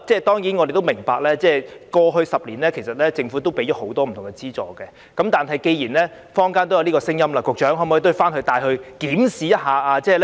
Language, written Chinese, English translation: Cantonese, 當然，我們也明白，政府其實在過去10年已提供很多不同資助，但既然坊間有聲音，局長可否回去檢視呢？, We certainly understand that the Government has in fact provided various kinds of financial support over the past decade but in view of such voices in the community may the Secretary conduct reviews in this regard?